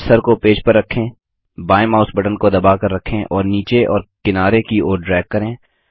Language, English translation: Hindi, Place the cursor on the page, hold the left mouse button and drag downwards and sideways